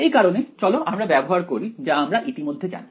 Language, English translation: Bengali, So, let us use what we already know ok